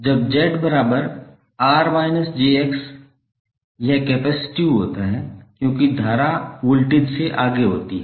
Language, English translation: Hindi, When Z is equal to R minus j X, it is capacitive because the current leads the voltage